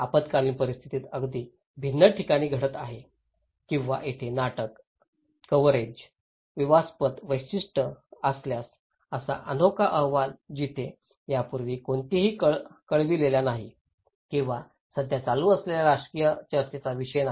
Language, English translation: Marathi, The disaster is happening in an very different cultural settings in it faraway place or if there is a drama and conflict exclusiveness of coverage, very unique report where no one reported before or politically hot issues which is going on right now